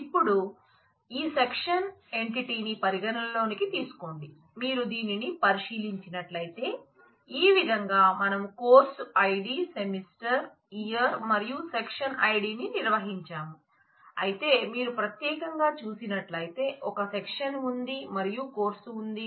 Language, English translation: Telugu, Now, consider this section entity, if you look into this then this is how what we we maintained we did a course id semester year and section id, but if you look into specifically and if you want to now know you know that there is a section and there is a course